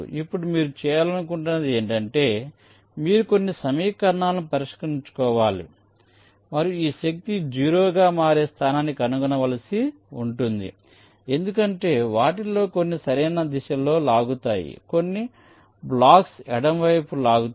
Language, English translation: Telugu, now what you want to do is that you will have to solve some equations and find out the location for i for which this force will become zero, because some of them will be pulling in the right direction, some blocks will be pulling in the left direction